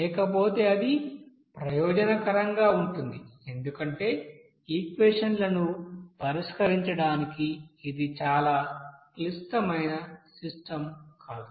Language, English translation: Telugu, So otherwise, it is advantageous because it will not be too complicated system to solve the equation